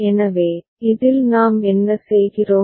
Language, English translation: Tamil, So, in this what we are doing